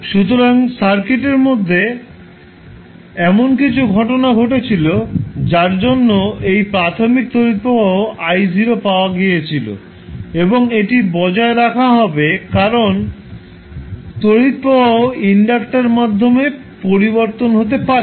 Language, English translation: Bengali, So, because of some phenomena which was happened in the circuit we were having initially the current flowing I naught at time equal to 0 and this will be maintained because the current through the inductor cannot change